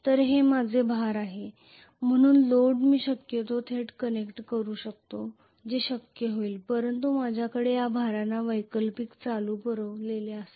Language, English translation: Marathi, So this is my load, so load I can connect directly that will be possible but I will have alternating current supplied to this loads